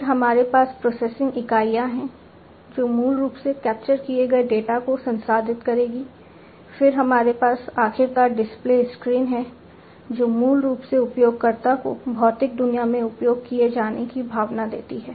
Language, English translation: Hindi, Then we have the processing units, these processing units, which basically will process the data that is captured, then we have finally, the display screens, these are very important components, the display screens, which basically give the user the feeling of being used in the physical world